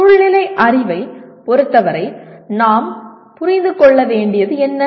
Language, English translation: Tamil, If you look at contextual knowledge, what does it mean we need to understand